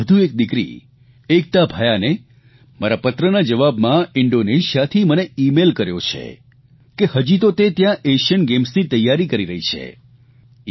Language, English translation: Gujarati, Ekta Bhyan, another daughter of the country, in response to my letter, has emailed me from Indonesia, where she is now preparing for the Asian Games